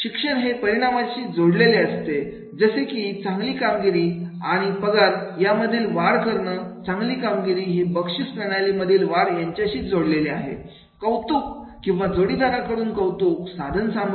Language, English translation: Marathi, The learning is linked to the outcomes such as better job performance and a salary increase because the better job performance is linked to the increase in their reward system, recognition or peer recognition instrumentality and employees value these outcomes